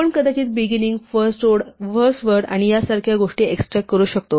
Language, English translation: Marathi, We might want to extract the beginning, the first word and things like that